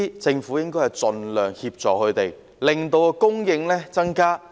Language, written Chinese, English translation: Cantonese, 政府應該盡量提供協助，令供應增加。, The Government should provide assistance by all means to enable increased supply